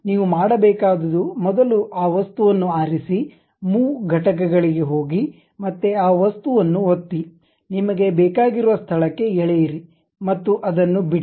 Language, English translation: Kannada, What you have to do is first select that object, go to Move Entities again click that object, move to your required location drag and drop it